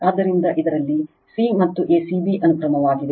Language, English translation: Kannada, So, in this is a c and a c b sequence right